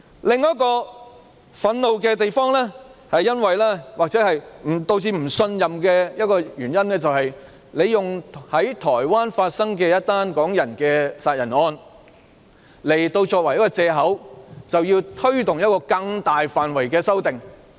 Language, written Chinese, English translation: Cantonese, 另一令人感到憤怒之處，或是導致不信任的原因，就是當局以一宗港人在台灣殺人的案件作借口，推動一項更大範圍的修訂。, Another reason causing public indignation or distrust is that the authorities have used a murder case involving Hong Kong people in Taiwan as a pretext for taking forward amendments that cover a far more extensive scope